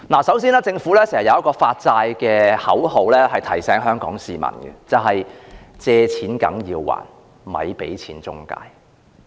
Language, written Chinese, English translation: Cantonese, 首先，政府有一句關於舉債的口號，經常提醒香港市民"借錢梗要還，咪俾錢中介"。, In the first place the Government often reminds Hongkongers with its slogan in respect of making borrowings You have to repay your loans . Dont pay any intermediaries